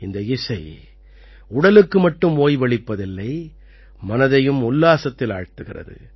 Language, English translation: Tamil, This music relaxes not only the body, but also gives joy to the mind